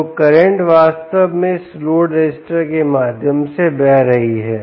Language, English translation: Hindi, and the current is actually flowing through this ah load resistor